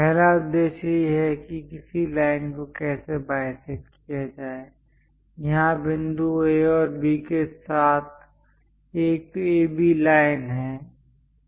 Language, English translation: Hindi, The first objective is how to bisect a line; here there is an AB line with points A and B